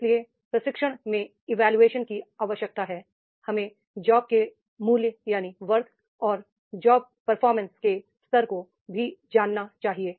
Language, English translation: Hindi, So, in the training need assessment, we should know the worth of a job and level of performance of the job